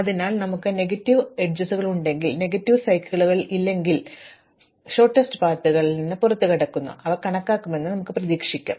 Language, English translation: Malayalam, So, long as we have negative edges, but not negative cycles, shortest paths do exits and we can hope to compute them